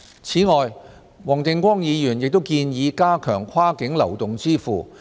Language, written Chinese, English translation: Cantonese, 此外，黃定光議員亦建議加強跨境流動支付。, Furthermore Mr WONG Ting - kwong proposed to strengthen the interfacing of cross - boundary mobile payment